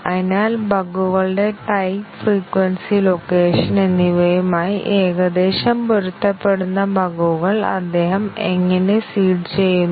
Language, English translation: Malayalam, So, how does he go about seeding bugs which roughly match with the type, frequency and location of the bugs